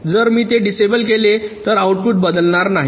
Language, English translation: Marathi, so if i disable it, then the outputs will not change